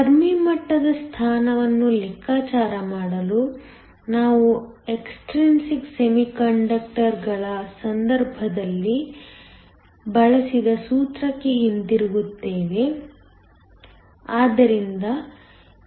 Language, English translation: Kannada, To calculate the position of the Fermi level, we go back to the formula that we used in the case of extrinsic semiconductors